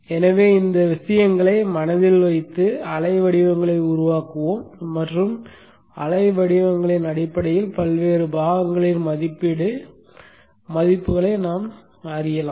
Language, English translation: Tamil, So keeping these things in mind, let us construct the waveforms and based on the waveforms we can just read off the rating values of the various components